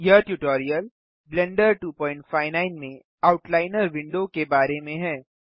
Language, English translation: Hindi, This tutorial is about the Outliner window in Blender 2.59